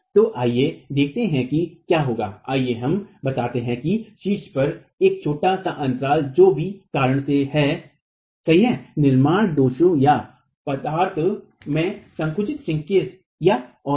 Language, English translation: Hindi, Let's say there is a small gap at the top, formed due to whatever reason, construction defect or shrinkage in the material and so on